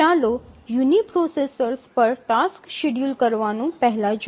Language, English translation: Gujarati, Let's look at first task scheduling on uniprocessors